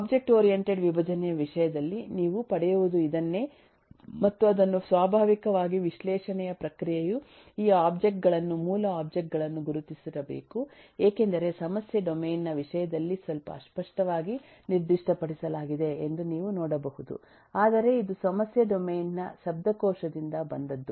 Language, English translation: Kannada, and you can see that, eh, naturally, the process of analysis must have identified these objects, these objects and eh, because it is, it is somewhat vaguely specified in terms of the problem domain, but this come from the vocabulary of the problem domain